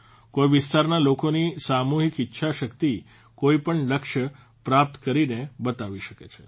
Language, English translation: Gujarati, The collective will of the people of a region can achieve any goal